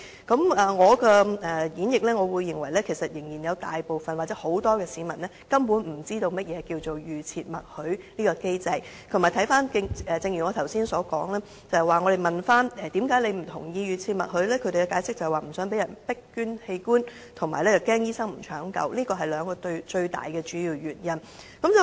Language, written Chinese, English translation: Cantonese, 根據我的演繹，我認為有大部分市民根本不知道何謂預設默許機制；再者，正如我剛才所說，當我們詢問受訪者為何不同意預設默許機制時，他們解釋是不想被迫捐贈器官，以及擔心醫生不進行搶救，這是兩大主要原因。, My interpretation is that most of the people do not understand what an opt - out system is . Beside as I just said the reasons of our respondents for not supporting the opt - out system are mainly that they do not want to be forced to donate organs and that they are concerned that medical personnel will not save their life